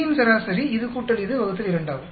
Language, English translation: Tamil, Average B1 will be this, plus this, plus this, plus this, divided by 4